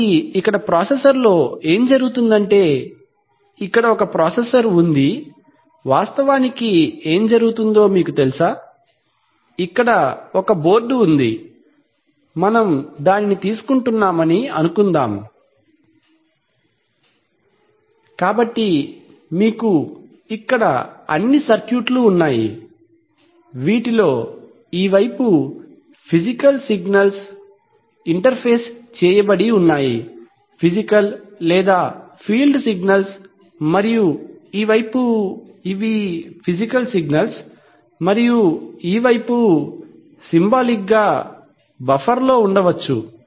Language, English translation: Telugu, So what happens is that the processor here, the processor here, actually what happens is that, you know, here is a board, suppose we are taking, so you have all the circuitry here, in this side the physical signals are interfaced, physical or field signals and on this side, the, this, so these are physical signals and on this side, symbolically maybe in a buffer, this is a buffer, the values of these signals are stored